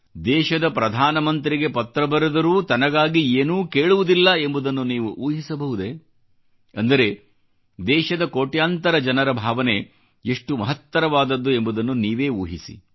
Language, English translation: Kannada, Just imagine… a person writing to the Prime Minister of the country, but seeking nothing for one's own self… it is a reflection on the lofty collective demeanour of crores of people in the country